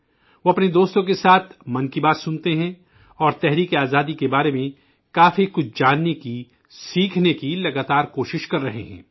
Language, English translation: Urdu, He listens to Mann Ki Baat with his friends and is continuously trying to know and learn more about the Freedom Struggle